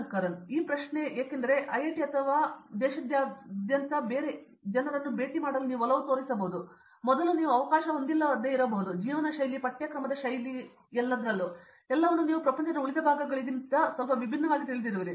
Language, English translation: Kannada, This question is because, not just because you are in IIT or something like that because you tend to meet a different set of people across the country which you might not have had an opportunity before, and also the kind of lifestyle, the kind of curriculum style, everything is you know quite slightly different from the rest of the world